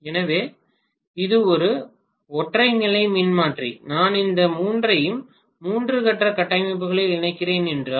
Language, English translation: Tamil, So this is a single phase transformer, then if I am connecting all these three in three phase configuration